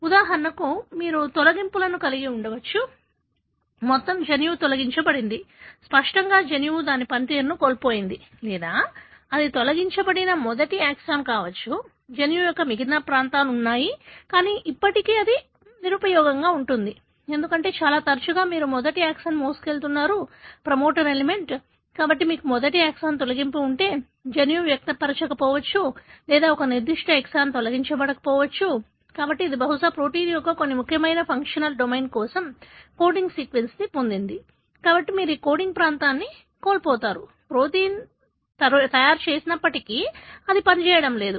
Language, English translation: Telugu, For example, you could have deletions; an entire gene is deleted, so obviouslythe gene has lost its function or it could be the first exon which is deleted, the rest of the regions of the gene exists, but still it is useless, because most often you have the first exon carrying the promoter element, so if you have a deletion of first exon, the gene may not express or one particular exon is deleted, so, it probably has got a coding sequence for some very important functional domain of the protein, so you loose that coding region, so, obviously even if the protein is made, it is not going to function